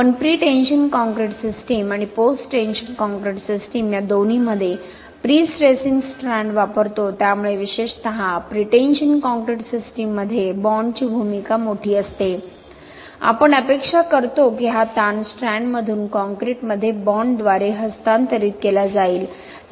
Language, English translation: Marathi, So we use prestressing strands early in pretension concrete applications as well as in post tension concrete applications, especially in pretension concrete system, the strand is expected to transfer this stress by bond to the surrounding concrete